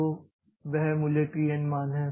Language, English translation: Hindi, So, that is t n